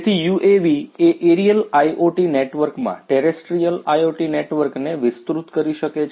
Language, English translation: Gujarati, So, UAVs can extend the networks the terrestrial IoT networks to the aerial IoT networks